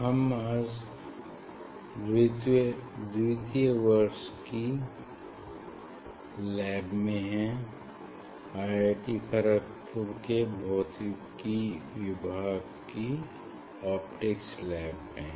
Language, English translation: Hindi, we are in second year lab Optics Lab of Department of Physics IIT Kharagpur